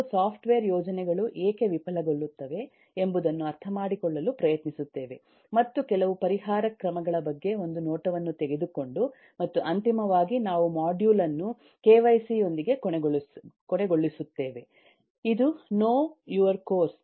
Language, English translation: Kannada, we will try to understand why software projects fail and take a glimpse into some of the remedial measures and finally, we will end the module with the kyc, that is know, your course, that is what we are going to cover in this whole